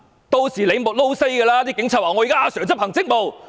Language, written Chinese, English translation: Cantonese, 屆時警察說："警察現在要執行職務。, By that time the Police will say We are carrying out our duties